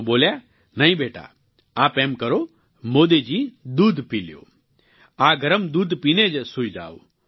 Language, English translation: Gujarati, ' She said 'No son, here…Modi ji, you have this warm milk and sleep thereafter'